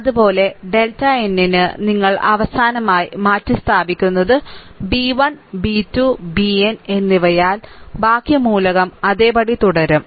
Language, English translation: Malayalam, Similarly, for the delta n the last one, the last one you replace by b 1, b 2 and b n, rest of the all a element will remain same